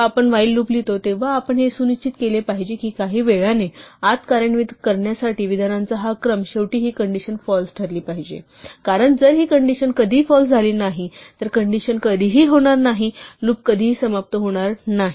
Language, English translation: Marathi, We have to ensure when we write a while loop that somehow this sequence of statements to execute inside the while must eventually make this thing to be false, because if this thing never become false, condition will never, the loop will never terminate